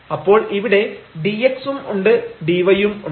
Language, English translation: Malayalam, So, this is dy in our definition